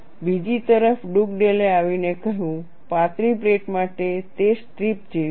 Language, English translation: Gujarati, On the other hand, Dugdale came and said, for thin plates it is like a strip